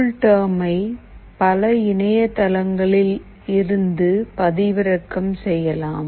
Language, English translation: Tamil, CoolTerm can be downloaded from several sites